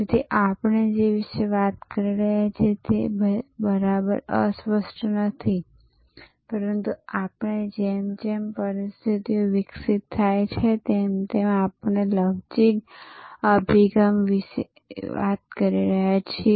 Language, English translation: Gujarati, So, it is not exactly meandering that we are talking about, but we are talking about a flexible approach as we as situations evolves